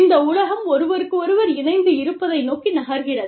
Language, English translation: Tamil, The world is moving towards, you know, being connected